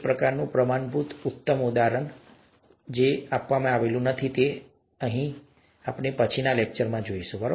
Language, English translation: Gujarati, It's not a very standard or classic example of this kind, but Mendelian genetics is something that we would look at in a later lecture